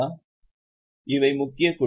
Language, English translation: Tamil, So, this is a major structure